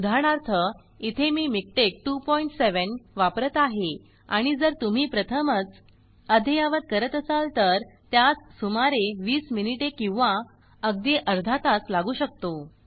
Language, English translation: Marathi, For example, here I am using MikTeX 2.7, and if I try to update it the very first time it could take about 20 minutes or even half an hour